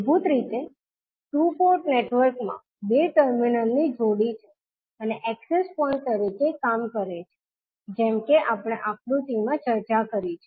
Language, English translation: Gujarati, So, basically the two port network has two terminal pairs and acting as access points like we discussed in this particular figure